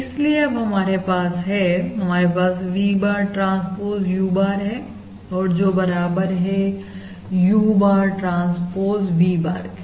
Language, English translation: Hindi, Therefore, what we have is we have V bar transpose U bar equal to V bar, transpose U bar, transpose equal to, basically, U bar transpose V bar